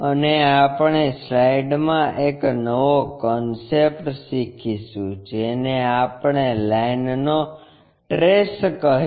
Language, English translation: Gujarati, And we will learn a new concept in the slide, it is what we call trace of a line